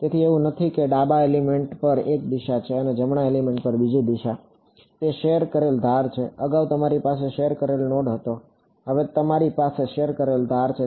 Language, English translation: Gujarati, So, it's not that there is one direction on the left element and another direction on the right element its a shared edge, earlier you had a shared node now you have a shared edge